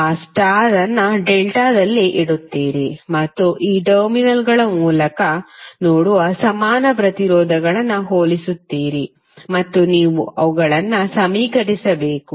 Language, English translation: Kannada, You will put that star into the delta and you will compare the equivalent resistances which you will see through these terminals and you have to just equate them